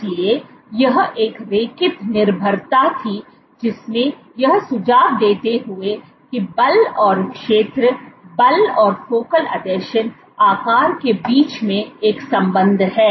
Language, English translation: Hindi, So, this was a linear dependence suggesting that there is a correlation between force and area, force and focal adhesion size